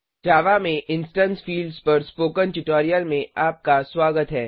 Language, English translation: Hindi, Welcome to the Spoken Tutorial on Instance Fields in Java